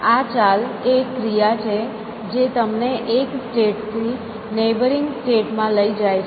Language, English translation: Gujarati, The move is something an action, which takes you from one state to neighboring state essentially